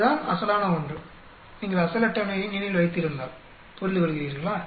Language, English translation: Tamil, That is the original one, if you remember original table, understand